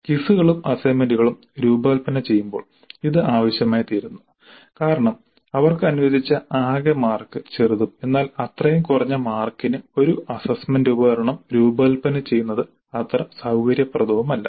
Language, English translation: Malayalam, This becomes necessary when designing quizzes and assignments because the total marks allocated to them would be small and designing an instrument for such a small number of marks may not be very convenient